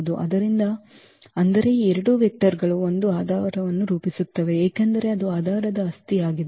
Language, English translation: Kannada, So; that means, these two vectors form a basis because, that is a property of the basis